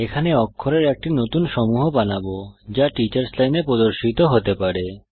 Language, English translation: Bengali, Here we create new set of characters that can be displayed in the Teachers Line